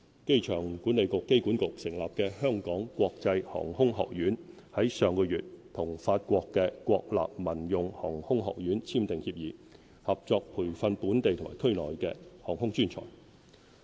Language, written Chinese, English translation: Cantonese, 機場管理局成立的"香港國際航空學院"，於上月與法國國立民用航空學院簽訂協議，合作培訓本地及區內的航空專才。, The Hong Kong International Aviation Academy established by the Airport Authority AA signed an agreement last month with Ecole Nationale de lAviation Civile of France to jointly nurture aviation professionals for Hong Kong and the region